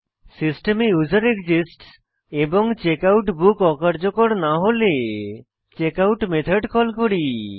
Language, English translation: Bengali, If userExists in the system and if the checkout book is not null, we call checkout method